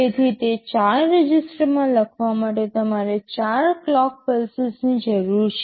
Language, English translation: Gujarati, So, to write into those 4 registers you need 4 clock pulses